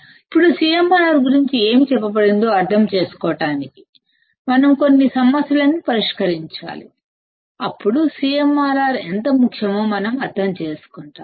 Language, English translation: Telugu, Now, to understand whatever that has been told about CMRR; we have to solve some problems, then we will understand how CMRR important is